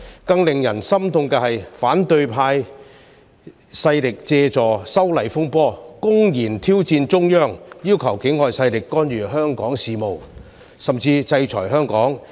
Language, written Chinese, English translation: Cantonese, 更令人心痛的是，反對派勢力借助修例風波，公然挑戰中央，要求境外勢力干預香港事務，甚至制裁香港。, What was even more heart - breaking was the opposition camps open challenge to the Central Authorities by making use of the legislative amendment controversy asking foreign powers to interfere in Hong Kongs affairs and even to impose sanctions on Hong Kong